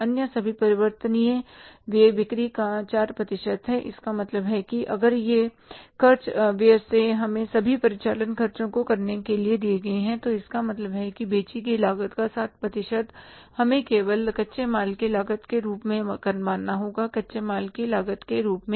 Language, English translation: Hindi, It means if these expenses are separately given to us making all the operating expenses, it means this 60% of the cost of the goods sold we have to assume as only the cost of raw material as the cost of raw material